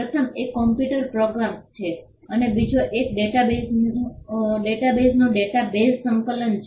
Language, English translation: Gujarati, The first one is computer programs and the second one is data bases compilation of database